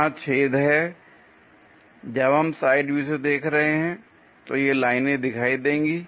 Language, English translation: Hindi, Here there are holes when we are looking from the side view, these lines will be visible